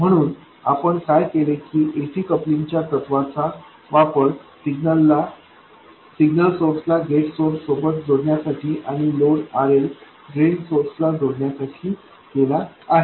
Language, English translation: Marathi, So, what we have done is to use the principle of AC coupling to connect the signal source to the gate source and the load RL to the drain source